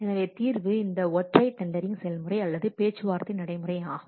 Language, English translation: Tamil, So the solution is this single tendering process or negotiated procedure